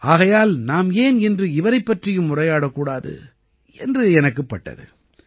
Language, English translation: Tamil, That's why I thought why not talk to you about him as well today